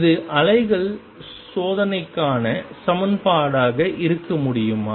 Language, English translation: Tamil, Can this be the equation for the waves test